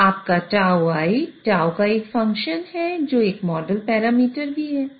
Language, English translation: Hindi, Your tau I is a function of tau which is also a model parameter